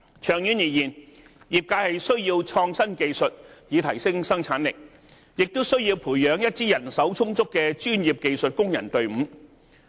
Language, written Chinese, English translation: Cantonese, 長遠而言，業界需要創新技術以提升生產力，也需要培養一支人手充足的專業技術工人隊伍。, In the long run the industry needs innovative technology to enhance productivity as well as develop a team of professional skilled workers with sufficient manpower